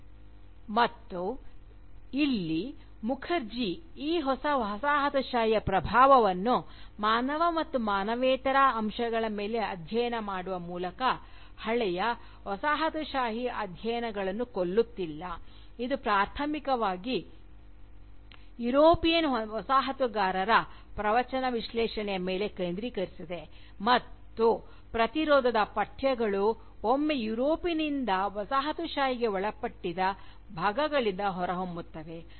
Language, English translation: Kannada, ” Here again, Mukherjee, by moving on to study the impact of this new form of Colonialism, on human and non human aspects of the environment, is not killing off the older form of Postcolonial studies, which primarily focused on the Discourse Analysis of the European Colonisers, and the texts of resistance, emerging from the parts of the world, once Colonised by Europe